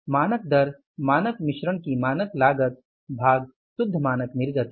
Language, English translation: Hindi, Standard cost of standard mix divided by the net standard output